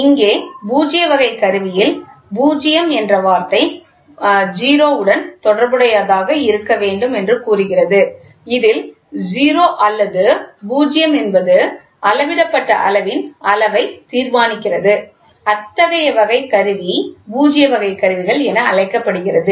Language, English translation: Tamil, Here in null type, the instrument is the word null itself says it has something to be related to 0 and instrument in which 0 or null in indication determines the magnitude of the measured quantity such that such type of instrument is called as null type instruments